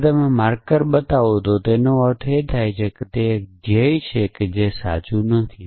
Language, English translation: Gujarati, So, when you have marker called show it means, it is a goal it is not something which is true